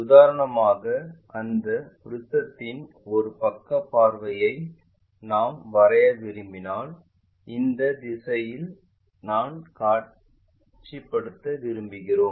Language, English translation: Tamil, If I would like to draw a side view of that prism for example, from this direction I would like to visualize